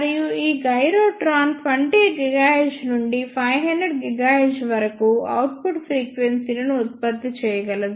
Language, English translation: Telugu, And these gyrotron can produce output frequencies from 20 gigahertz to about 500 gigahertz